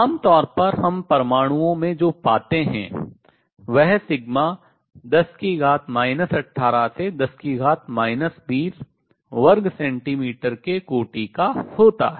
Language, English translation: Hindi, What we find usually in atoms sigma is of the order of 10 raise to minus 18 to 10 raise to minus 20 centimeter square